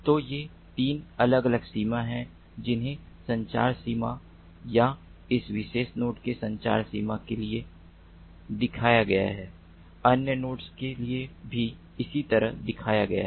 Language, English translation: Hindi, so these are the three different ranges that are shown of the communication range or the transmission range of this particular node